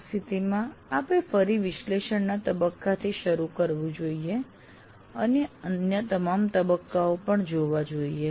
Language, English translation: Gujarati, In that case you have to start all over again from analysis phase and go through all the other phases as well